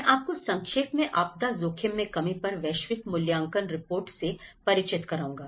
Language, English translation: Hindi, I will briefly introduce you to the Global Assessment Report on disaster risk reduction